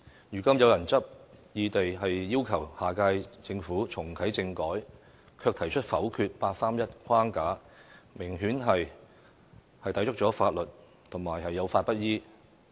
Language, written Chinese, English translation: Cantonese, 如今有人執意要求下屆政府重啟政改，卻提出否定八三一框架，明顯抵觸了法律，有法不依。, At present the fact that some people insist that the next term of Government has to reactivate constitutional reform and rule out the 31 August framework has apparently contravened and violated the law